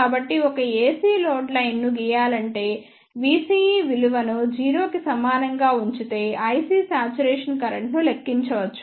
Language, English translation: Telugu, So, to draw a AC load line just put v CE equals to 0 to calculate the i C saturation current